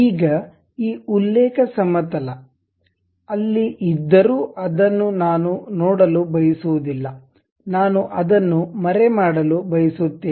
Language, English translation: Kannada, Now, I do not want to really see this reference plane though it is there; I would like to hide it